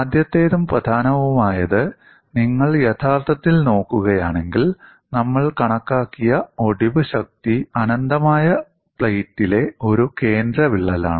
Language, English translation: Malayalam, The first and foremost is, if you actually look at, the fracture strength that we have calculated was for a central crack in an infinite plate